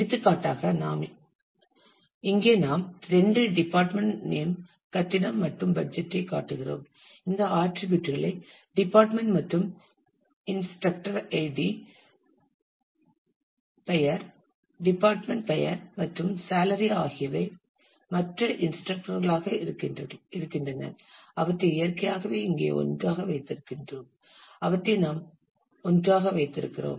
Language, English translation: Tamil, For example, here we are showing two relations department name building and budget these attributes doing department and instructor, id name, department name, and salary is other instructor in a way keeping them together here naturally, where we keep them together